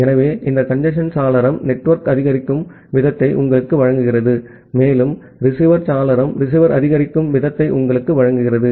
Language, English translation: Tamil, So, this congestion window is providing you the rate that network supports, and receiver window is giving you the rate that receiver supports